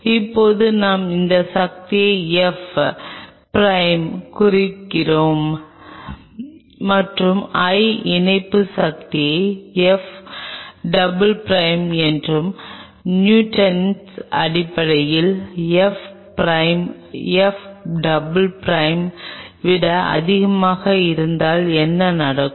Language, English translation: Tamil, now, if I denote this force with f prime and i denote the attachment force as [noise] f double prime, and if f prime [noise] in terms of the newton, is greater than f double prime, then what will happen